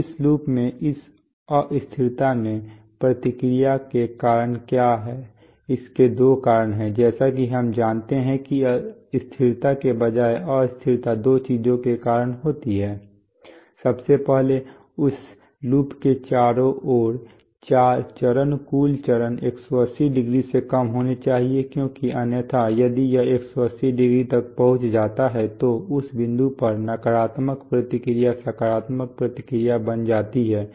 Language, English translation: Hindi, So what are the causes of feedback in this instability in this loop, there are two causes as we know that stability instead or rather instability is caused by two things, firstly that the phase total phase lag around this loop must be less than 180˚ because otherwise if it reaches 180˚ then at that point negative feedback becomes positive feedback right